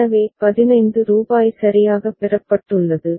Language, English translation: Tamil, So, rupees 15 has been received ok